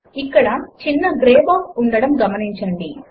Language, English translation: Telugu, Here, notice the small gray box